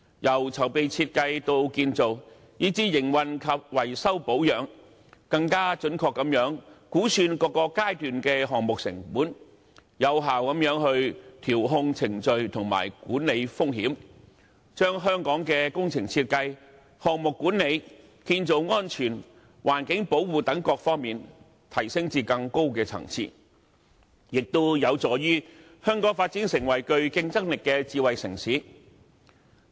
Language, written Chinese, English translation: Cantonese, 由籌備、設計到建造，以至營運及維修保養，更準確地估算各個階段的項目成本，有效地調控程序和管理風險，將香港的工程設計、項目管理、建造安全及環境保護等各方面提升至更高層次，亦有助香港發展成為具競爭力的智慧城市。, From planning and design to construction operation and maintenance project costs for various stages can be projected with greater accuracy thereby allowing effective process adjustment and risk management which will elevate Hong Kong to a higher level in the areas of project design project management construction safety and environmental protection and facilitate the development of Hong Kong into a competitive smart city